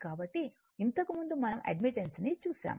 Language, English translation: Telugu, So, because we know admittance earlier we have seen